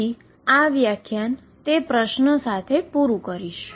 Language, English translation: Gujarati, So, I will leave you with that question in this lecture